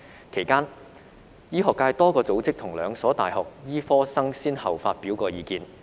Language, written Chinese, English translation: Cantonese, 其間，醫學界多個組織及兩所大學醫科生曾先後發表意見。, In the meantime a number of organizations in the medical profession and medical students from two universities have expressed their views